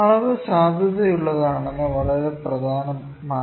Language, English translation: Malayalam, It is very important that the measurement is valid